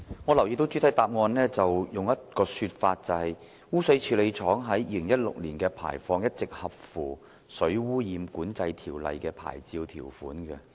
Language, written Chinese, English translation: Cantonese, 我留意到主體答覆有以下提述，即"污水處理廠於2016年的排放一直合乎《水污染管制條例》的牌照條款"。, I have noticed the following in the main reply the effluent quality of PPSTW in 2016 has consistently been in compliance with the licence requirements under the Water Pollution Control Ordinance